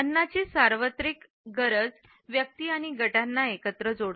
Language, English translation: Marathi, The universal need for food ties individuals and groups together